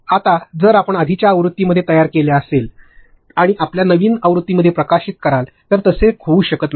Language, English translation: Marathi, Now, if you created in your earlier version and you are going to you know publish it in your latest version it may not happen